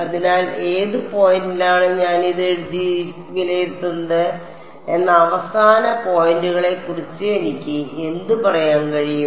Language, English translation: Malayalam, So, what can I say about the end points at which at which points are my evaluating this